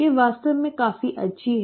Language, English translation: Hindi, They are really very nice